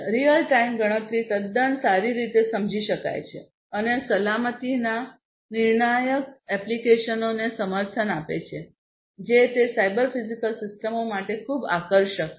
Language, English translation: Gujarati, Real time computation it is quite well understood and supporting safety critical applications is what is very attractive of cyber physical systems